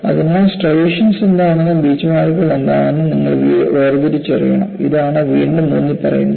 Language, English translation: Malayalam, So, you have to make a distinction between what are striations and what are Beachmarks and that is what is again emphasized, Beachmarks must not be confused with striations